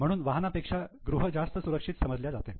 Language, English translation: Marathi, So, house is considered to be much more safer asset than vehicle